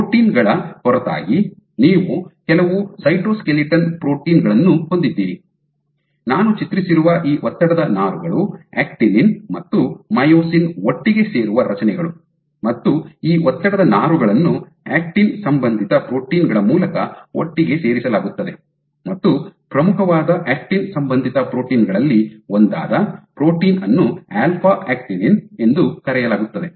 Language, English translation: Kannada, So, apart from these proteins you have some cytoskeletal proteins, which you see is these stress fibers what I have drawn are structures, where actinin myosin come together and these stress fibers are also put together in like they stay in place through actin associated proteins